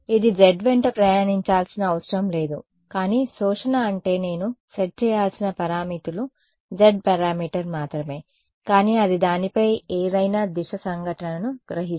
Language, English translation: Telugu, It need not be travelling along the z, but the absorption I mean the parameters that I have to set is only the z parameter, but it's absorbing any direction incident on it